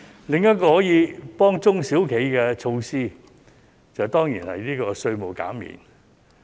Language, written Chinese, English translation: Cantonese, 另一個可以幫中小企的措施，當然便是稅務減免。, Another measure which can help SMEs is surely related to tax concessions